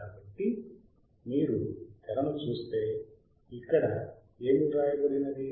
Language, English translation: Telugu, So, if you see the screen thatscreen that is what is written